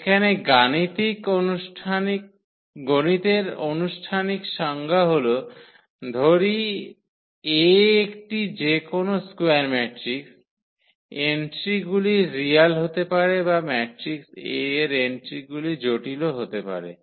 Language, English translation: Bengali, So, the definition the mathematical formal definition here: let A be any square matrix, the entries can be real or the entries of the matrix A can be complex